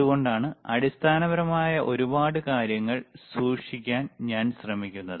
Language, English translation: Malayalam, That is why I am trying to keep a lot of things which are basic